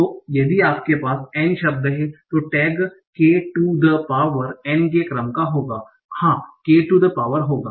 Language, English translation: Hindi, So if you have N words, the tax would be of the order of N to the power, sorry, K to the power, yes, K to the power in